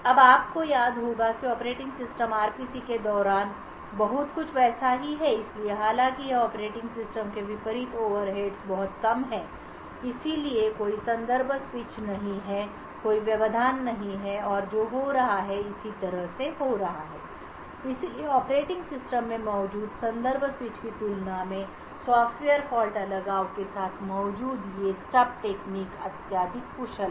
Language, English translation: Hindi, Now this you would recollect is very much similar to what the operating system does during RPC, so however here unlike the operating system the overheads are very minimal so there are no contexts switch, there are no interrupts that are occurring and so on, so therefore these stub mechanisms present with the Software Fault Isolation is highly efficient compared to the context switches present in the operating system